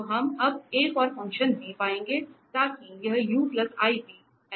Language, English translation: Hindi, So, we will find another function v now, so that this u plus iv becomes analytic